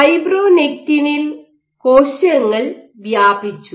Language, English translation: Malayalam, So, on fibronectin the cells were spread